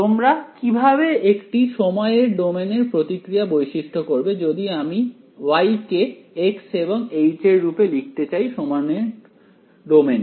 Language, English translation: Bengali, How do we characterize a response in time domain if I want to express y in terms of x and h in time domain